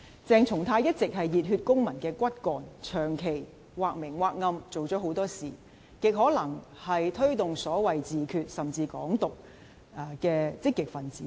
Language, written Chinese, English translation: Cantonese, 鄭松泰一直是熱血公民的骨幹，長期或明或暗做了很多事，極可能是推動所謂自決，甚至"港獨"的積極分子。, CHENG Chung - tai has been a key member of the Civic Passion which has committed many acts distinctly or indistinctly to most probably promote the so - called self - determination . He may even be an activist of Hong Kong independence